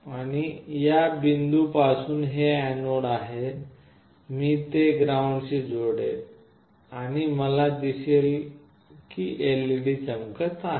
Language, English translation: Marathi, And this from this point, that is the anode, I will connect it to ground and I see that the LED is glowing